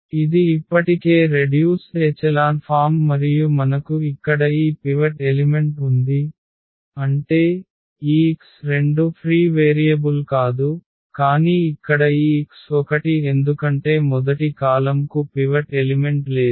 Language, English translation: Telugu, So, this is the row reduced echelon form already and we have here this pivot element; that means, this x 2 is not a free variable, but here this x 1 because the first column does not have a pivot element